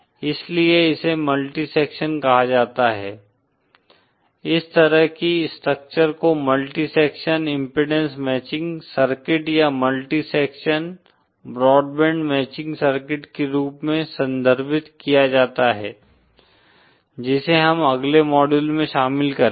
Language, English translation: Hindi, So that is called multi section, that kind of structure is referred to as a multi section impedance matching circuit or a multi section broad band matching circuit, which we shall cover in the next module